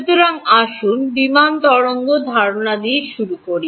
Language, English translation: Bengali, So, let us start with the plane wave idea